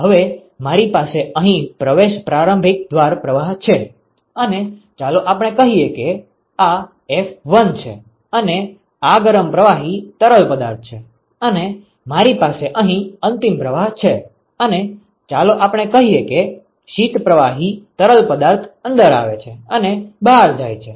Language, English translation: Gujarati, Now I have an inlet stream here and let us say this is f1 and this is hot fluid and I have an outlet stream here, and this is let us say the cold fluid comes in and goes out